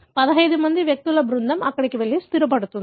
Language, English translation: Telugu, A group of 15 individuals go and settle there